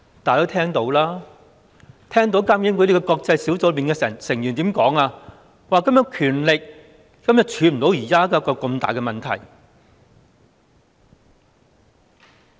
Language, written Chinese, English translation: Cantonese, 大家也聽到監警會的國際小組成員說，監警會的權力根本不能處理現時這個大問題。, Members have also heard the International Experts Panel for IPCC say that the power vested in IPCC is not nearly enough for it to deal with the current big problem